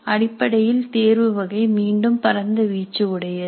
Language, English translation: Tamil, So basically the selection type again has a wide range